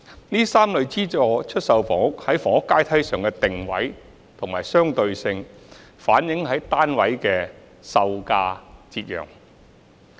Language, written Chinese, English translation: Cantonese, 這3類資助出售房屋在房屋階梯上的定位和相對性，反映於單位的售價折讓。, The positioning and relativity of these three types of SSFs along the housing ladder are reflected in the discount of the selling prices of the units